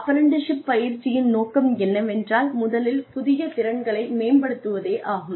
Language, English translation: Tamil, The objectives of apprenticeship are, first is promotion of new skills